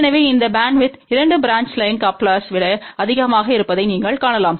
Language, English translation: Tamil, So, you can see that this bandwidth is more than a 2 branch line coupler